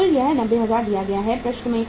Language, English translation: Hindi, Total is 90,000 given in the problem